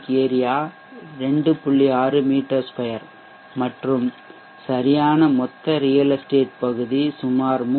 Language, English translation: Tamil, 6m2 and actual real estate area around 3